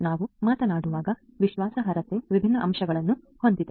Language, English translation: Kannada, Trustworthiness when we talk about has different different facets